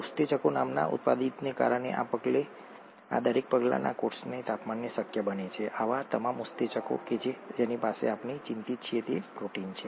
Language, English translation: Gujarati, Each of these steps is made possible at the temperature of the cell because of a catalyst called enzymes, and all such enzymes that we’re concerned with, are proteins